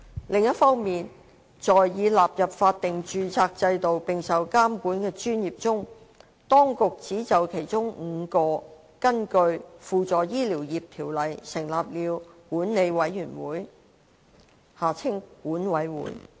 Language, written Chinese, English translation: Cantonese, 另一方面，在已納入法定註冊制度並受監管的專業中，當局只就其中5個根據《輔助醫療業條例》成立了管理委員會。, On the other hand among the healthcare professions which have been included in a statutory registration system and are subject to regulation the authorities have established boards for only five of them in accordance with the Supplementary Medical Professions Ordinance SMPO